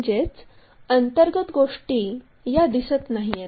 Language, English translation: Marathi, So, internal things are invisible